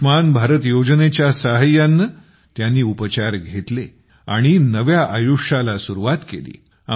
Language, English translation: Marathi, They got their treatment done with the help of Ayushman Bharat scheme and have started a new life